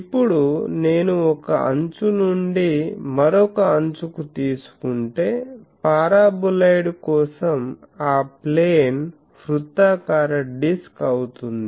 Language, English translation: Telugu, Now, think that if I take from one edge to other edge, if I take a plane that plane for the paraboloid it will be circular disk